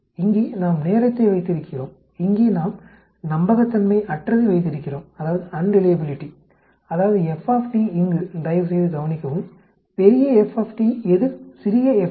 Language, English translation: Tamil, Here we have the time here and then we have the unreliability here that is the f T here, capital f t as against small f t, please note